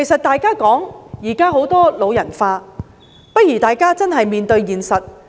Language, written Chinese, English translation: Cantonese, 大家現在常說人口"老人化"，大家應認真面對現實。, Nowadays we often talk about the ageing of population . We should seriously face the reality